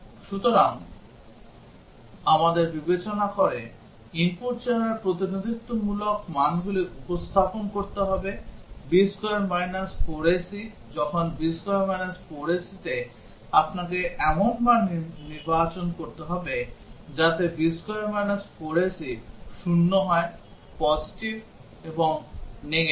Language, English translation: Bengali, So, we have to represent representative values of the input look considering b square minus four ac, when b square minus four a c you have to select values such that b square minus four ac is 0, positive and negative